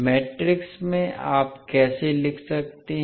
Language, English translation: Hindi, So, in matrix from how you can write